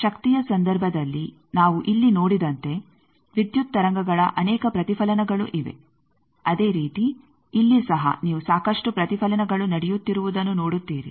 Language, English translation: Kannada, As we are seen here in case of power there are multiple reflections of power is similarly, here also you see lot of reflections taking place